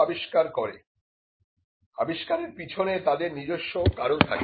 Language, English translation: Bengali, Inventions have their own reason